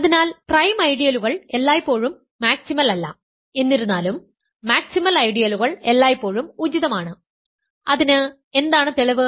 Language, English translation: Malayalam, So, prime ideals are not always maximal; however, maximal ideals are always proper, so what is the proof